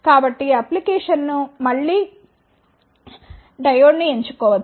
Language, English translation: Telugu, So, depending upon the application again one can choose the diode